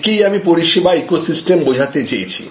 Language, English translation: Bengali, So, this is what we are meaning by service ecosystem